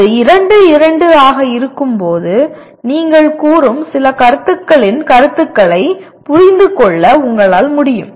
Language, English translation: Tamil, When it is 2, 2; that is you are in understanding the concepts of some concepts that you are stating because that is what it is